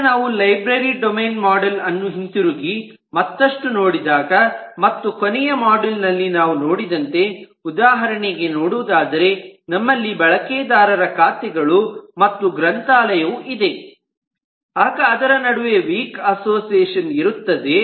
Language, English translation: Kannada, so now if we go back and take a further look again in to the library domain model, which we had seen in the last module as well, we can see, for example, you have accounts of users and we have library and there is weak association between them